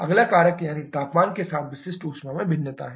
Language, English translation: Hindi, Then the second factor that we consider is the variation of specific heat temperature